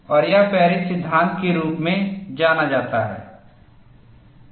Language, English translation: Hindi, And this was obtained by Paris and this is known as Paris law